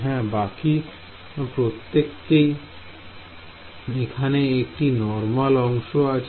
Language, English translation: Bengali, Yeah, everyone else has normal component